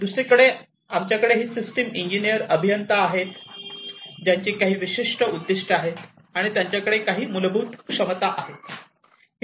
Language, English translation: Marathi, On the other hand, we have these system engineers who have certain objectives and have certain fundamental capabilities